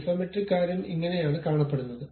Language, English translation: Malayalam, This is the way the Isometric thing really looks like